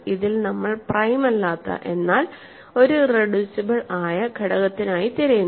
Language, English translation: Malayalam, And in this we are trying to look for an irreducible element which is not prime